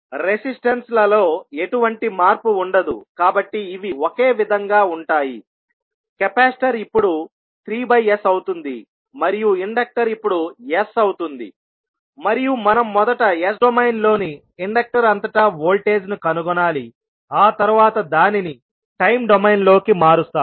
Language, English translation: Telugu, So source will now become 1 by S there will be no change in the resistances so these will remain same, capacitor has now become 3 by S and inductor has become S and we need to find out first the voltage across the inductor in s domain and then we will convert it into time domain